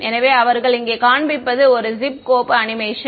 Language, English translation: Tamil, So, what they are showing over here is a gif file we will see the animation